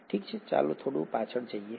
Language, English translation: Gujarati, Okay let’s go back a little bit